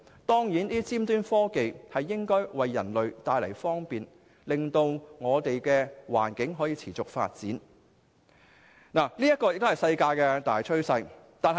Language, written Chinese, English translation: Cantonese, 當然，尖端科技能夠為人類帶來方便，令我們的環境得以持續發展；這也是世界的大趨勢。, Of course high - end technologies can provide convenience to human beings and facilitate sustainable environmental development which is also the general trend of the world